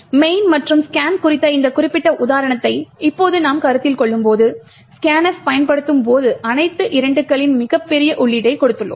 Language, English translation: Tamil, Now when we consider this particular example of the main and scan and we consider that when use scan f we have given a very large input of all 2’s